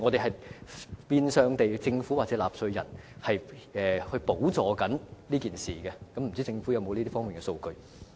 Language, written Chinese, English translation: Cantonese, 這變相是由政府或納稅人補助外傭的醫療費用，不知政府有否這方面的數據？, The Government or taxpayers are actually subsidizing the medical expenses of FDHs . I wonder if the Government has the statistics in this respect